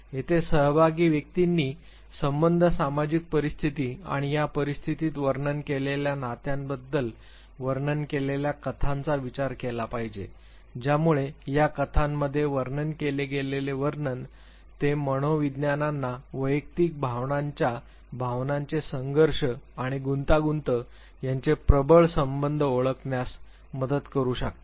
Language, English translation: Marathi, So, the individuals are supposed to think of a story describe about the relationships social situations and these situation the descriptions the relationships that is described in these stories they can help the psychologies identify the dominant drives of the individual emotions sentiments conflicts and complexes